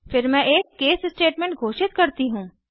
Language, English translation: Hindi, Then I declare a case statement